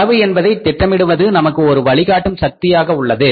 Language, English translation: Tamil, Budgeting cost is helping us to serve as a guiding force